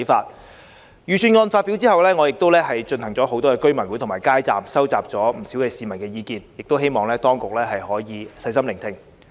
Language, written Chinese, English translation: Cantonese, 在預算案發表後，我曾多次舉行居民大會及擺設街站，蒐集了不少市民的意見，亦希望當局可以細心聆聽。, After the announcement of the Budget I have collated the views of many residents from the residents meetings and street booths I held and set up . I hope the authorities can listened to them in detail